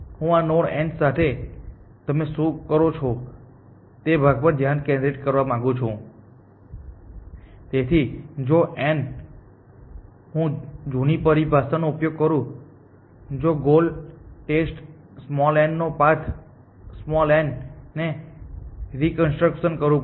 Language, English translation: Gujarati, I will just write it as an outline I want to focus on the part of what do you do with this node n essentially So, if n, so if I use the older terminology if gore test n than the reconstruct n